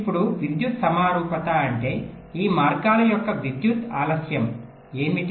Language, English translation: Telugu, now, electrical symmetry means what would be the electrical delay of each of this paths